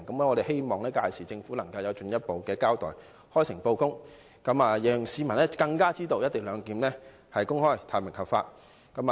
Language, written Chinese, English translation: Cantonese, 我們希望政府屆時能作進一步交代，開誠布公，讓市民更清楚知道"一地兩檢"是公開、透明和合法的。, We hope the Government will give a further account in an open and frank manner so that members of the public will know more clearly that the co - location arrangement is open transparent and lawful